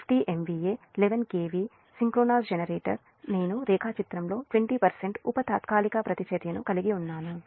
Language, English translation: Telugu, say: fifty m v a eleven k v synchronous generator i showed the diagram has a sub transient reactance of twenty percent